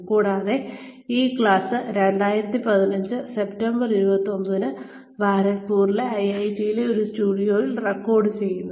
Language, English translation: Malayalam, And, this class is being recorded on the, 29th September 2015, in a studio in IIT, Kharagpur